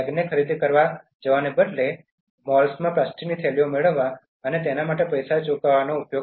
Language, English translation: Gujarati, Use your bags for shopping instead of going and then getting plastic bags in the malls and paying for them